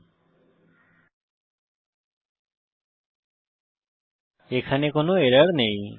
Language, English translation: Bengali, We see that, there is no error